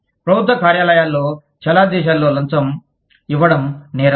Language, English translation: Telugu, In government offices, bribery is an offence, in most countries